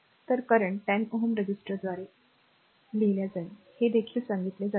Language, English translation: Marathi, So, current through 10 ohm resistor, this is also told you